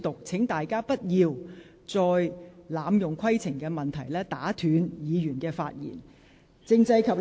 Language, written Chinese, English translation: Cantonese, 請大家不要再濫用規程問題，打斷其他議員的發言。, Members should not abuse the point of order to interrupt other Members